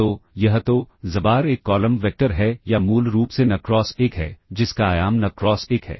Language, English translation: Hindi, So, this so, xbar is a column vector or basically n cross 1, has dimension n cross 1